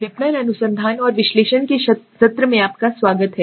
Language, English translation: Hindi, Welcome everyone to the session of marketing research and analysis